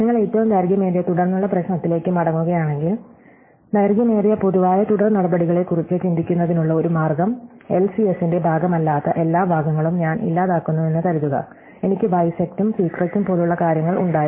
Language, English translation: Malayalam, So, if you go back to the longest common subsequence problem, so one way of thinking of longest common subsequence is supposing I just delete all the parts which are not part of the LCS, so I had things like bisect and secret